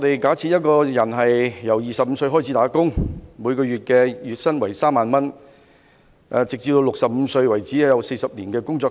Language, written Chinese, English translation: Cantonese, 假設一個人由25歲開始工作，月薪為3萬元，直至65歲為止，有40年在工作。, Assuming that a person starts to work at the age of 25 with a monthly salary of 30,000 and he will work for 40 years until the age of 65